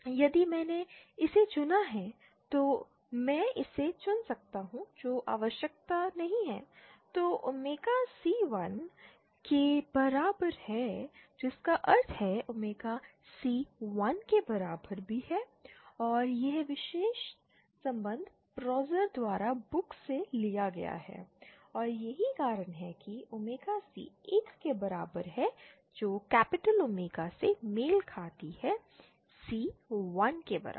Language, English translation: Hindi, If I chose this I can chose this that is not necessary then omega c equal to 1 implies capital omega c also equal to 1 and book by Pozar this particular relation taken and this is why omega c is equal to 1 corresponds to capital omega c equal to 1